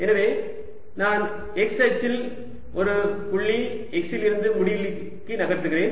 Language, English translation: Tamil, so i am moving from a point x to infinity along the x axis